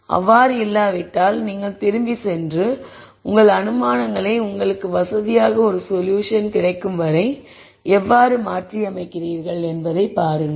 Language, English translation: Tamil, If it does not you go back and relook at your assumptions and then see how you change or modify your assumptions so that you get a solution that you are comfortable with